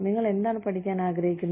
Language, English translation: Malayalam, What do you want to learn